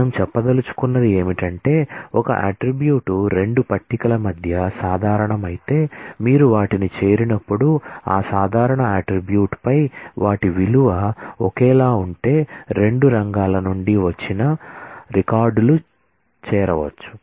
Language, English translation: Telugu, What we want to say is, if an attribute is common between 2 tables then, while you join them, the records from 2 fields can be joined if their value on that common attribute is same